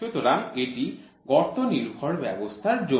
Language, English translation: Bengali, So, this is for the hole based system